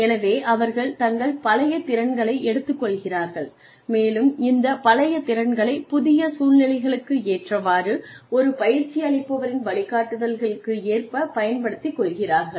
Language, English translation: Tamil, So, they take their old skills and they help them apply these old skills to new situations, and under of course the guidance of a mentor